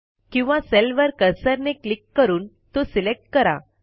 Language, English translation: Marathi, Alternately, select a cell by simply clicking on it with the cursor